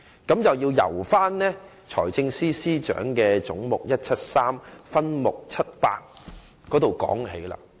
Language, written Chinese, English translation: Cantonese, 這便要由財政司司長預算案中總目173的分目700說起。, Let us start from subhead 700 under head 173 in the Financial Secretarys Budget